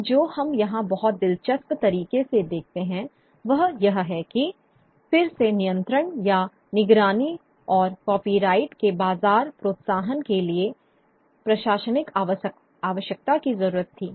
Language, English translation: Hindi, Now, what we see very interestingly here is again the coming together of administrative need for control of surveillance and the market incentive of copyright